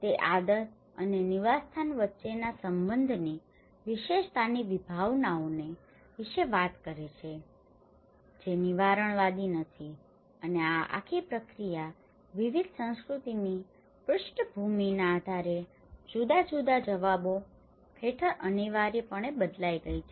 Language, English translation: Gujarati, It talks about the concepts of habitus the relation between habit and the habitat which is not determinist and this whole process has anyways inevitably altered under different responses based on the different cultural backgrounds